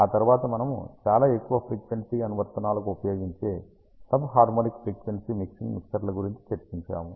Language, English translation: Telugu, After that we discussed about sub harmonically pumped mixers which are used for very high frequency mixing applications